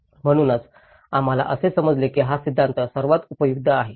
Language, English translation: Marathi, So, that is where we thought this theory is most useful to understand this